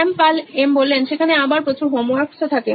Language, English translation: Bengali, Shyam: As there will be like homeworks as well